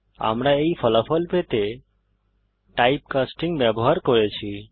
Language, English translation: Bengali, We used type casting to obtain these result